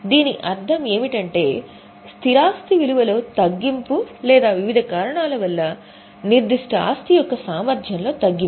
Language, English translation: Telugu, What it means is it is a reduction in the value of fixed asset or it is reduction in the utility of that particular asset due to variety of reasons